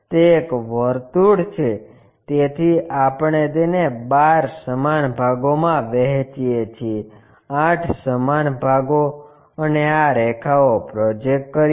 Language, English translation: Gujarati, It is a circle, so we divide that into 12 equal parts, 8 equal parts and project these lines